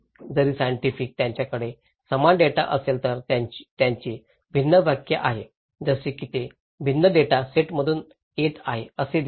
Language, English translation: Marathi, Even the scientist, if they have same data they have different interpretations as if they look like they are coming from different data set